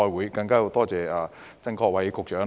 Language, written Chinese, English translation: Cantonese, 此外，我更要多謝曾國衞局長。, Moreover I have to thank Secretary Erick TSANG